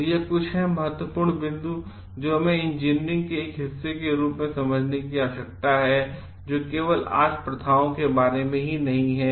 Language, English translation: Hindi, So, these are the some of the important points which we need to understand as a part of like engineering is today it is not only about just practices